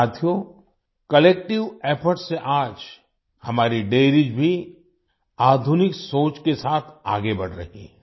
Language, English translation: Hindi, Friends, with collective efforts today, our dairies are also moving forward with modern thinking